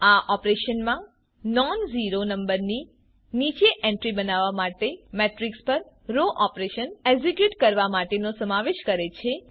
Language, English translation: Gujarati, These operations involve executing row operations on a matrix to make entries below a nonzero number, zero